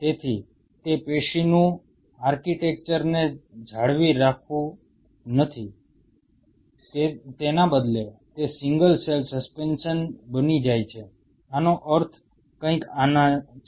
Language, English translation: Gujarati, So, it no more maintains the tissue architecture instead it becomes a single cell suspension, something like this I mean just start off with